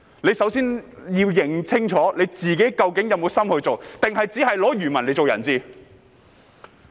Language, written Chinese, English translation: Cantonese, 大家先要認清楚自己是否有心做，還是只把漁民作人質？, Members should find out if they are doing this sincerely or are they simply treating fishermen as hostage?